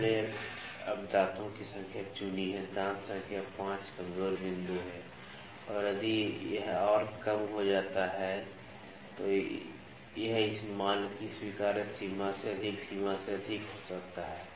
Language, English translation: Hindi, We have picked now teeth number tooth number 5 is the weak point and if it further decreases, it can exceed the limit exceed the acceptable limit this value